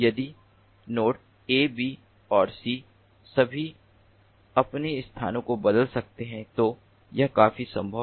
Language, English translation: Hindi, ok, if nodes a, b and c all can change their locations, then, and that is quite possible